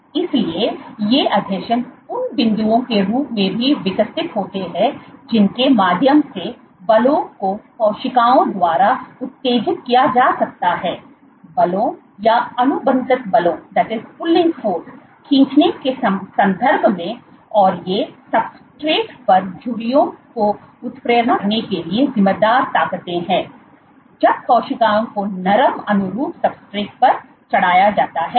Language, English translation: Hindi, So, these adhesions also develop as points through which forces can be excited by cells, in terms of pulling forces or contractile forces, and those who are the forces responsible for inducing wrinkles on the substrate when cells are plated on a soft compliant substrate